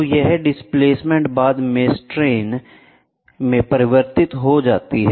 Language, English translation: Hindi, So, this displacement can later the converted into strains, right